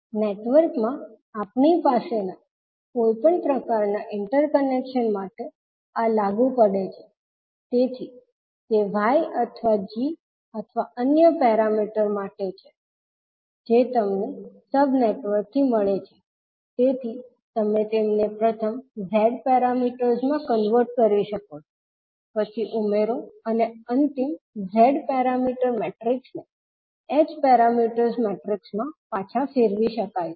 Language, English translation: Gujarati, So this is applicable for any type of interconnection which we may have in the network, so the same is for maybe Y or G or any other parameter which you get from the sub networks, so you can first convert them into the Z parameters, then add them and the final Z parameter matrix can be converted back into H parameters matrix